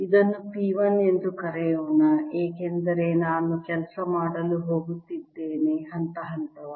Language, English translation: Kannada, lets call this p one, because i am going to go step by step